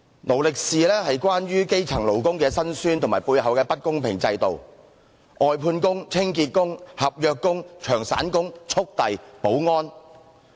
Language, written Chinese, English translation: Cantonese, "勞力是"講述基層勞工的辛酸和背後的不公平制度，例如外判工、清潔工、合約工、長散工、速遞、保安。, Full - time demonstrates the miseries of grass - roots workers and the unfair system behind them such as outsourced workers cleaning workers contract staff temporary workers on a long - term basis couriers and security guards